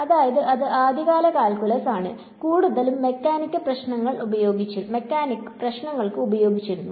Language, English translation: Malayalam, So, that is early calculus and mostly for mechanics problems